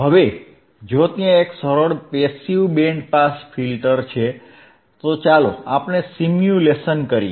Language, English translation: Gujarati, Now if there is a simple passive band pass filter, then let us do the simulation